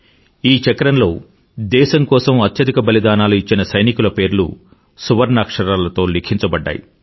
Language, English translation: Telugu, This bears the names of soldiers who made the supreme sacrifice, in letters of gold